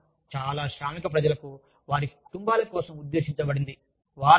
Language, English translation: Telugu, The weekend, for most working people, is meant for their families